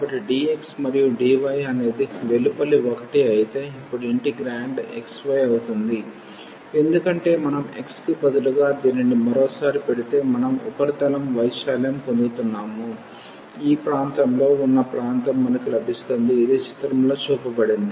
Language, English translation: Telugu, So, for dx and the dy will be the outer one the integrand now will be xy because we are going to get the solid if we put this instead of xy 1 again we will get the area of this region, which is shown in the figure